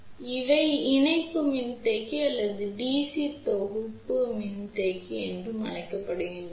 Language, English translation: Tamil, So, these are also known as coupling capacitor or DC block capacitor